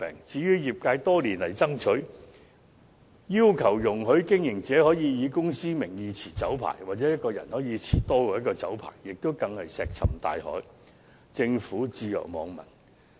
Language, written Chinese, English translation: Cantonese, 至於業界多年來爭取，希望容許經營者以公司名義持有酒牌，又或容許個人能夠持有多於1個酒牌的要求，更是石沉大海，政府對業界的訴求置若罔聞。, The request made by the industry for years for allowing a business operator to hold the liquor licence in the name of his company or allowing an individual to hold more than one liquor licence remains unanswered just like a stone dropped into the sea . The Government has turned a deaf ear to the demands of the industry